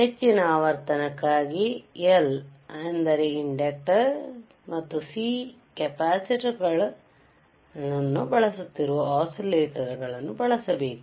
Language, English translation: Kannada, For higher frequency we have to use oscillators that are using L, that is inductor and C, is a capacitor right